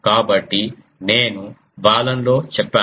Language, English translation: Telugu, So, I think I have said in the Balun